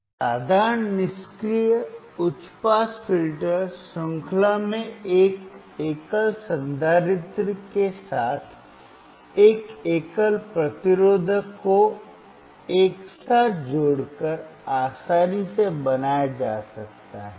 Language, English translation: Hindi, A simple passive high pass filter can be easily made by connecting together in series a single resistor with a single capacitor as shown in figure 2